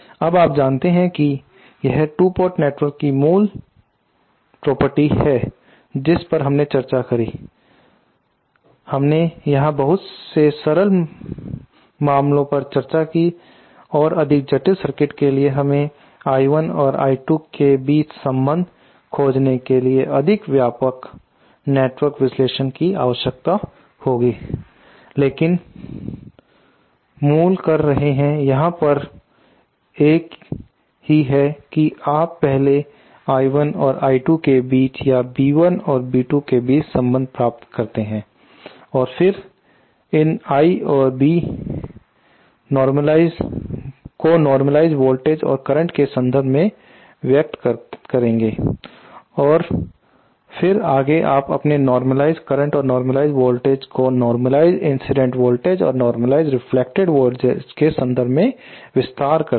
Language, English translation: Hindi, Now this is the you know this the basic property of 2 port network we discussed we discussed very simple case here and for more complicated circuits we will need a more extensive network analysis to find a relationship between I 1 and I 2, but the basic proceed here is the same that you first find the relationship between I 1 and I 2 or between B 1 and B 2 and then express these Is and Bs in terms of the normalized voltages and the normalized current